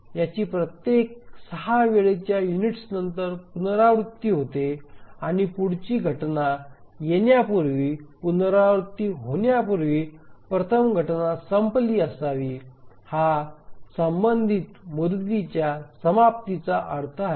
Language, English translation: Marathi, So it repeats after every six time units and before it repeats, before the next instance comes, the first instance must have been over